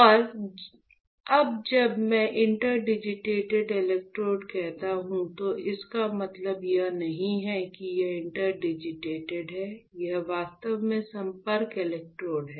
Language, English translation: Hindi, And now when I say interdigitated electrodes, it does not mean like it is interdigitated, it is actually the contact electrodes